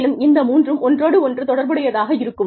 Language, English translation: Tamil, And, these three are interrelated